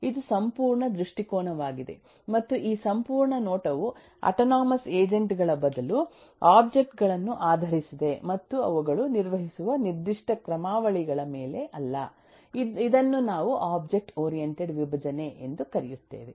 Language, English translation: Kannada, and since this whole view is based on the objects, rather the autonomous agents, and not on the specific algorithms that they perform, we call this a object oriented decomposition